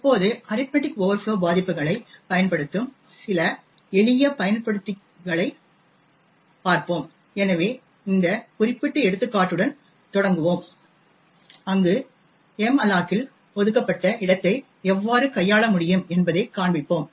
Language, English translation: Tamil, Now let us look at some simple exploits which make use of the arithmetic overflow vulnerabilities, so will start with this particular example where we will show how we could manipulate the space allocated by malloc